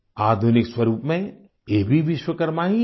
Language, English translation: Hindi, In modern form, all of them are also Vishwakarma